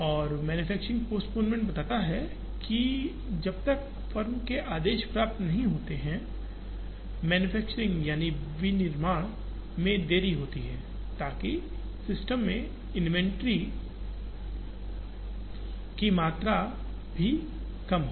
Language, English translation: Hindi, And manufacturing postponement talks about, unless the firm orders are received, delay the manufacturing so that, the amount of inventory in the system is also reduced